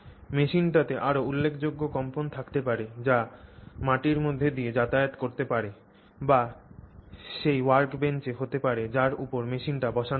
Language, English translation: Bengali, The machine may also have a much more, you know, prominent vibration which may travel through the ground or be there on that workbench that on which that machine is mounted